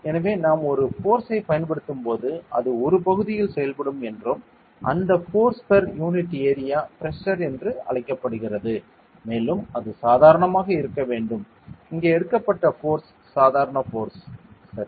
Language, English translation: Tamil, So, we told you that when we apply a force it acts on an area and that force per unit area is called as pressure, and it should be normal the force taken here is the normal force ok